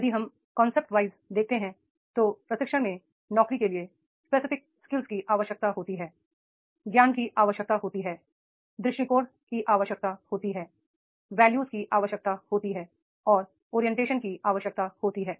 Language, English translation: Hindi, If we see the concept wise the training, it is a job specific skills required, it is the knowledge is required, attitude is required, values are required and orientation is required